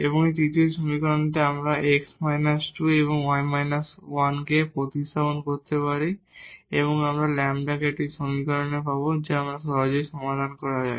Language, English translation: Bengali, And, from the third equation now we can substitute this x minus 2 and y minus 1 here and we will get a equation in lambda which can be easily solved